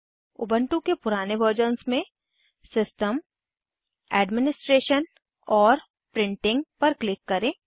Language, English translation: Hindi, In older versions of Ubuntu, click on System Administration and Printing